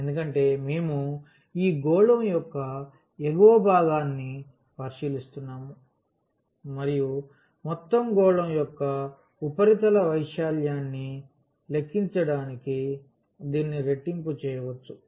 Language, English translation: Telugu, Because, we are considering the upper part of this sphere and we can make it the double to compute the surface area of the whole sphere